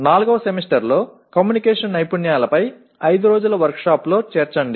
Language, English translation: Telugu, Add in the fourth semester a 5 day workshop on communication skills